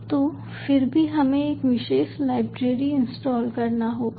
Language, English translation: Hindi, so at again, we have to install a special library